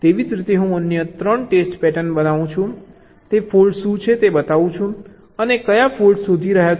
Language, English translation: Gujarati, similarly, i show the other three test patterns and what are the faults that a getting detected